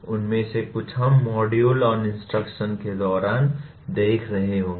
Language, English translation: Hindi, Some of them we will be looking at during the module on instruction